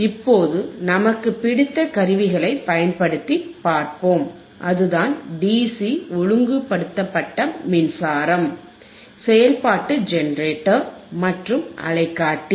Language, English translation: Tamil, Now, let us see using our favourite equipment, that is the DC regulated power supply in a regulated power supply, function generator and the oscilloscope